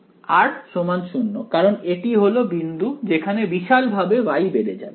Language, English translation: Bengali, r is equal to 0 because that is the point where Y is going to blow up ok